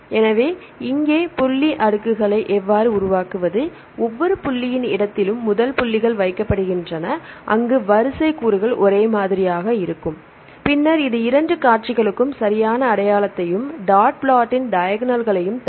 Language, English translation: Tamil, So, here this is how to construct the dot plots, first dots are placed in the space of each position, where the sequence elements are identical and then it will give you the identity between the two sequences right and the diagonals of this dot plot